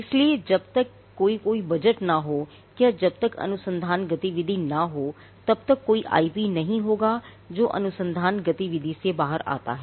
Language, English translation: Hindi, So, unless there is a budget or unless there is research activity there will not be any IP that comes out of research activity